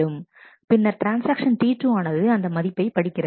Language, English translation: Tamil, And then transaction T 2 reads that value